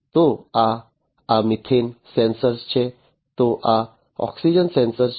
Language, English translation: Gujarati, So, this is this methane sensor so this is this oxygen sensor